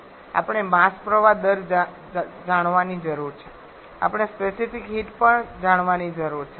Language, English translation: Gujarati, We need to know the mass flow rate we need to know the specific heat also